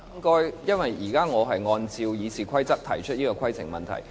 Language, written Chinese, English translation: Cantonese, 我現在按照《議事規則》提出規程問題。, I raised a point of order pursuant to the Rules of Procedure